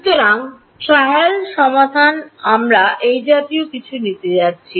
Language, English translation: Bengali, So, the trial solution we are going to take something like this